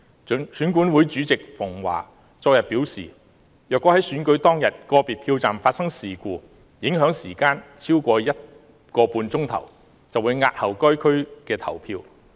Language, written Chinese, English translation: Cantonese, 選舉管理委員會主席馮驊昨天表示，如果在選舉當天個別票站發生事故，影響時間超過 1.5 小時，便會押後該選區投票。, Barnabas FUNG Chairman of the Electoral Affairs Commission said yesterday that if there were incidents of open violence in individual polling stations on the day of the election and the incidents lasted for more than 1.5 hours the voting in the constituencies concerned would be postponed